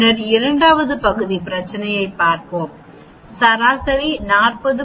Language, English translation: Tamil, Let us look at this average so, the average comes out to be 40